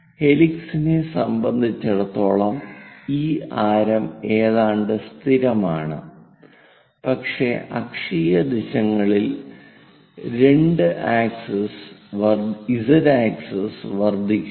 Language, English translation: Malayalam, For helix, this radius is nearly constant, but axial directions z axis increases